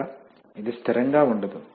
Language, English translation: Telugu, So it is not constant